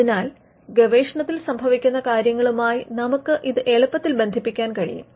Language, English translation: Malayalam, So, we can relate this easily with what is happening in research